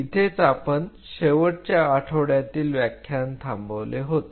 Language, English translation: Marathi, So, this is where we kind of closed on the last week lectures